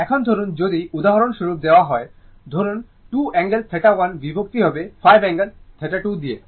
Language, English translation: Bengali, Now, suppose if it is given for example, suppose 2 angle theta 1 divided by 5 angle theta 2